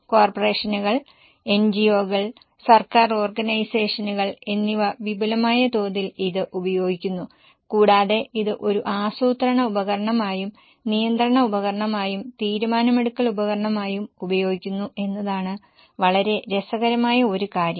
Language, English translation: Malayalam, It is used by corporations, by NGOs, by government organizations on an extensive scale and it has become useful as a planning tool, as a control tool and as also the decision making tool